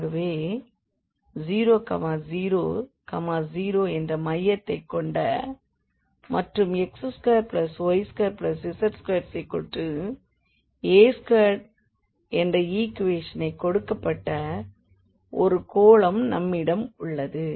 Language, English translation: Tamil, So, we have a sphere which is centered at 0 0 0 and given by this equation x square plus y square plus a square is equal to a square